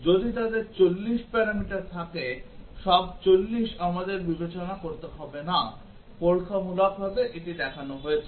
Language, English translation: Bengali, We do not have to if their 40 parameters do not have to consider all 40, experimentally it has been shown